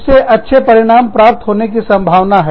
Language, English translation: Hindi, That is likely to yield, better results